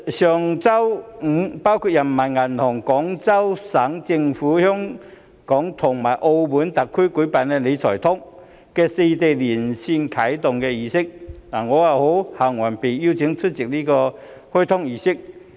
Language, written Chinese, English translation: Cantonese, 上周五包括人民銀行、廣東省政府、香港及澳門特區舉辦"理財通"的四地連線啟動儀式，我很榮幸獲邀出席這個開通儀式。, An online ceremony of the Wealth Management Connect marking its launch was held last Friday by four parties including the Peoples Bank of China Guangdong Provincial Government Hong Kong and Macao Special Administrative Regions . I was much honoured to be invited to attend this activation ceremony